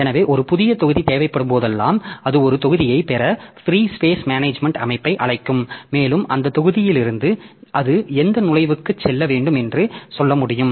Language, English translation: Tamil, So, whenever you need a new block so it will be calling the free space management system to get a block and from that block it can tell like to which entry it should go